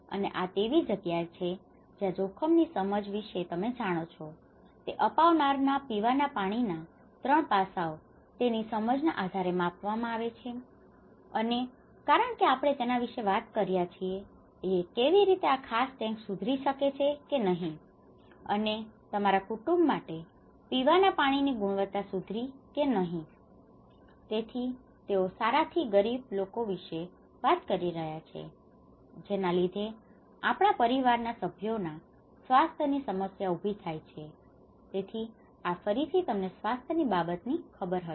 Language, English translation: Gujarati, And here this is where the risk perception you know that is measured based on adopters perceptions on 3 aspects of drinking water and because we are talking about how this particular tank having this tank how it has improved or not and the drinking water quality of your family, so they talked about from good to poor, causing health issues problems of our family members, so that is again you know regarding the health